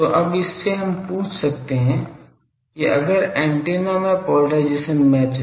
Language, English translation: Hindi, So, by that so now we can ask that if the antenna is polarisation match